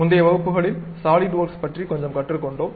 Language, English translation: Tamil, In the earlier classes, we have learned little bit about Solidworks